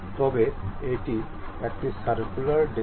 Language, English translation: Bengali, But it is a circular disc